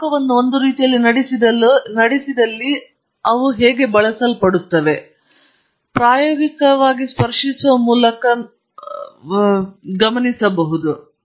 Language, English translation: Kannada, And they are used often in applications where heat is conducted one way, but you can touch the material from the other side very practically touch it